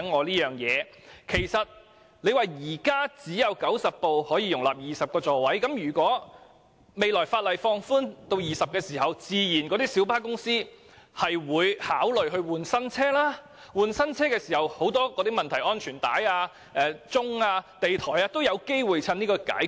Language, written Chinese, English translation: Cantonese, 當局指現時只有90輛小巴可以容納20個座位，但如果日後法例把座位上限放寬至20個，小巴公司自然會考慮更換新車，屆時安全帶、按鐘及地台等問題均有機會一一解決。, According to the authorities at present only 90 light buses can accommodate 20 seats . However if the maximum seating capacity is increased to 20 in the legislation in future light bus companies will naturally consider replacing their vehicles and by then problems concerning safety belts call bells and floor levels can be resolved altogether